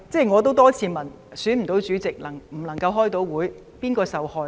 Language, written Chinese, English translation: Cantonese, 我也多次問，選不到主席，不能夠召開會議，究竟是誰受害？, As I have asked many times who exactly will suffer when the Chairman could not be elected and meetings could not be held?